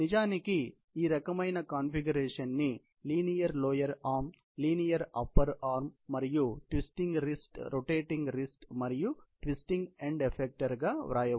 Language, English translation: Telugu, So, in fact, we represented this joint notation as linear lower arm, linear upper arm and twisting wrist, rotating wrist and twisting end effector kind of configuration